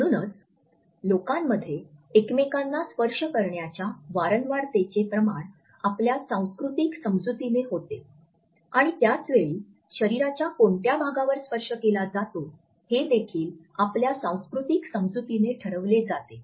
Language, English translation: Marathi, So, the amount in frequency of touching each other in public is conditioned by our cultural understanding and at the same time which body part is being touched upon is also decided by our cultural understanding